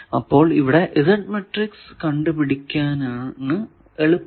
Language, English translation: Malayalam, So, this will be the Z matrix